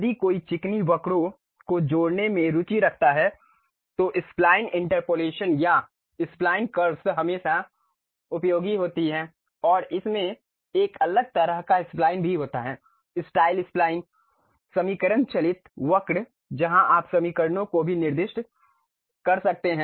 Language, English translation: Hindi, If one is interested in connecting smooth curves, then spline interpolation or spline curves are always be useful and it has different kind of splines also, style spline, equation driven curve where you can specify the equations also